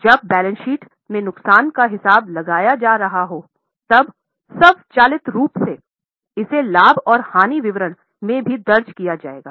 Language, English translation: Hindi, When it is for preparing of P&L, when a loss is being accounted in the balance sheet, automatically it will also be recorded in a profit and loss statement